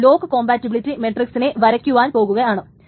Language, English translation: Malayalam, So I am going to draw the lock compatibility matrix in a moment